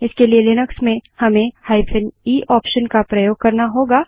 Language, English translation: Hindi, For this in Linux we need to use the e option